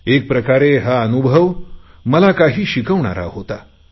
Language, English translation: Marathi, In a way, It was a kind of a learning experience too for me